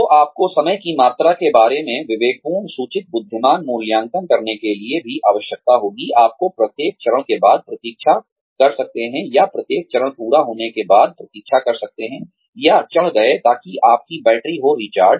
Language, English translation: Hindi, So, you will also need, to make a judicious informed intelligent assessment, of the amount of time, you will need to wait, after each, or can wait, after each step, has been achieved, or climbed, so that your batteries are recharged